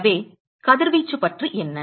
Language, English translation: Tamil, So, what about the radiation